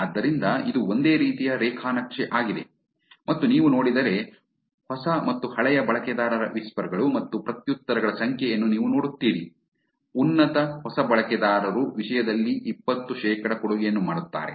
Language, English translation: Kannada, So, it is kind of the same kind of graph and you will see number of whispers and replies by both new and old users if you see, the top, the new users make a twenty percent of the contribution in the content